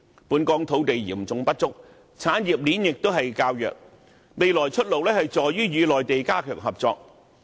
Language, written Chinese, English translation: Cantonese, 本港土地嚴重不足，產業鏈亦較弱，未來的出路是與內地加強合作。, Hong Kong faces an acute shortage of land and its industrial chain is not quite so well - formed . Enhancing cooperation with the Mainland is a way out